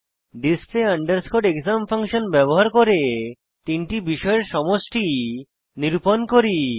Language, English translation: Bengali, Here, we are using display exam function to calculate the total of three subjects